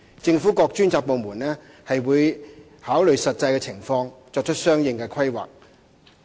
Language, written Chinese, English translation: Cantonese, 政府各專責部門會考慮實際的情況，作出相應的規劃。, Various dedicated government departments will consider the actual circumstances and make planning accordingly